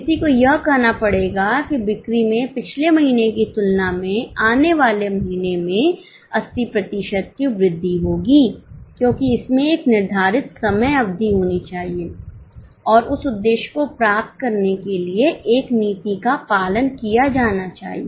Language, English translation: Hindi, One has to say that the sales will increase by 80% in coming month in comparison to last month because there has to be a defined period of time and a policy persuaded to achieve that goal